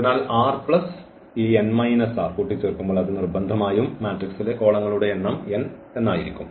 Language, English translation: Malayalam, So, r plus this n minus r must add to n, the number of the columns in the matrix